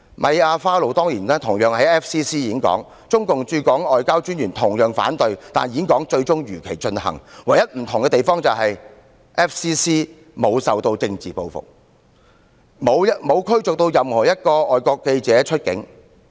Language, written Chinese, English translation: Cantonese, 米亞花露當年同樣在外國記者會演說，特派員公署同樣反對，但演說最終如期進行，唯一不同之處是，外國記者會沒有受到政治報復，也沒有任何外國記者被逐出境。, Mia FARROW also gave a speech at FCC as scheduled despite the objected raised by OCMFA . The only difference was that FCC was not retaliated against and no foreign journalists were expelled